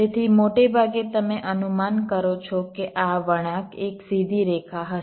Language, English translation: Gujarati, so mostly of predict that this curve will be a straight line